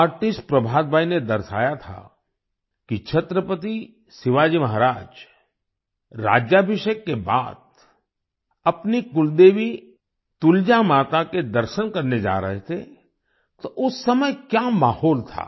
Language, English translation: Hindi, Artist Prabhat Bhai had depicted that Chhatrapati Shivaji Maharaj was going to visit his Kuldevi 'Tulja Mata' after the coronation, and what the atmosphere there at that time was